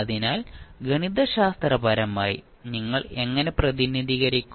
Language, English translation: Malayalam, So, mathematically, how will you represent